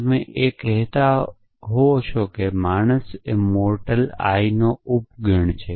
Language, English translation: Gujarati, You can see the same thing as saying that man is the subset of mortal i